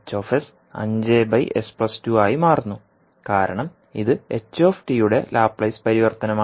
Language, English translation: Malayalam, Hs can become five upon s plus two because it is Laplace transform of ht